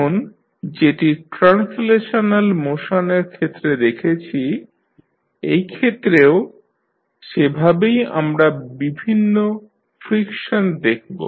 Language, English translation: Bengali, Now, similar to what we saw in case of translational motion, in this case also we will see various frictions